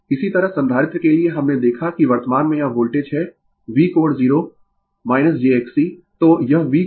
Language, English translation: Hindi, Similarly, for capacitor we see the currently it is the voltage, V angle 0 minus jX C